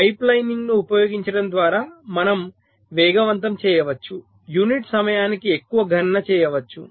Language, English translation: Telugu, so by using pipe lining we can have speed up, we can have more computation per unit time